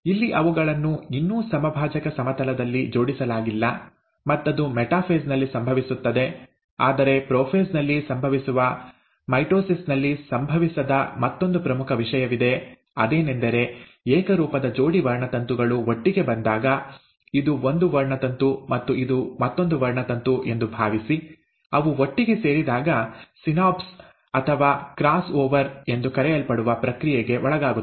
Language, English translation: Kannada, Here they are still not arranged at the equatorial plane, and that happens in the metaphase; but in the case of prophase, there is one another important thing which happens, which does not happen in mitosis, is that, when the homologous pair of chromosomes come together